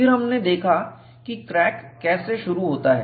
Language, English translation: Hindi, Then, we looked at, how does crack initiate